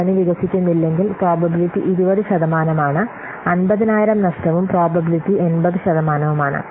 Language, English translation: Malayalam, If market doesn't expand, there will be a loss that will be 50,000 and probability is 80 percent